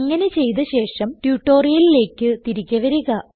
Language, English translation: Malayalam, Please do so and return back to this tutorial